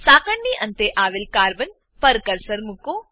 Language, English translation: Gujarati, Place the cursor on the carbon present at one end of the chain